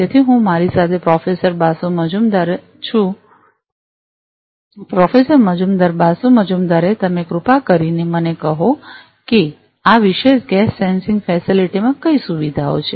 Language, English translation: Gujarati, So, I have with me Professor Basu Majumder; Professor Majumder Basu Majumder would you please tell me what are the facilities in this particular gas sensing facility lab